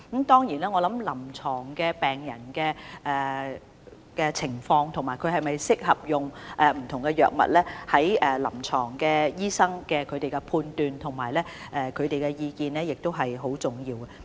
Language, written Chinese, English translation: Cantonese, 當然，我認為病人的臨床情況、他是否適合使用不同藥物，以及醫生的臨床判斷及意見，亦相當重要。, Certainly I believe the clinical condition of a patient his suitability of using different drugs and the diagnosis and opinion of his doctor are also very important